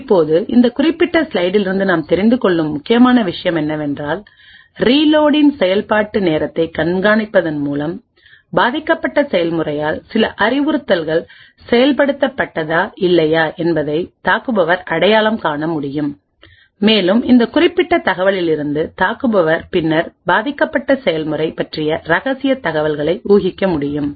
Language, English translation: Tamil, Now the important take away from this particular slide is the fact that by monitoring the execution time of the reload, the attacker would be able to identify whether certain instructions were executed by the victim process or not, and from this particular information the attacker would then be able to infer secret information about that victim process